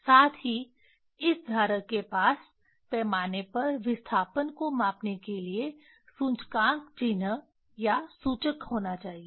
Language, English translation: Hindi, Also this holder should have should have index mark or pointer to measure the displacement on the scale